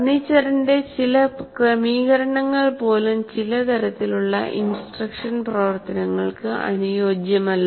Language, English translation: Malayalam, And some arrangements of the furniture do not permit certain types of instructional activities